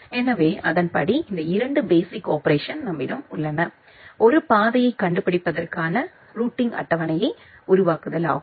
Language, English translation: Tamil, So, accordingly we actually have this 2 basic operations: construction of the routing table to finding out a path